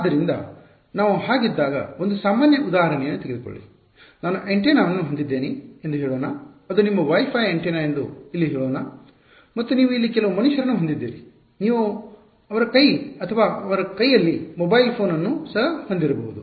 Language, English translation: Kannada, So, when we are so, take a general example let us say that I have an antenna let us say that is your WiFi antenna over here and you have some human being over here, you could even have a mobile phone in his hand his or her hand